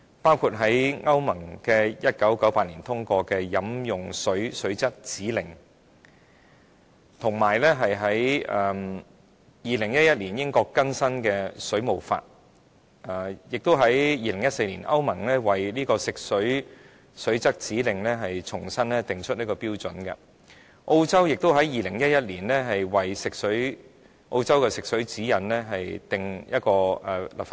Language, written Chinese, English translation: Cantonese, 例如，歐盟在1998年通過《飲用水水質指令》；英國在2011年更新《水務法》；歐盟在2014年為《飲用水水質指令》重新訂定標準；澳洲在2011年為澳洲的食水指引立法。, For example the European Union passed the Drinking Water Directive in 1998; the United Kingdom updated the Water Act in 2011; the European Union revised the standards set out in the Drinking Water Directive in 2014; Australia enacted legislation based on the Australian Drinking Water Guidelines in 2011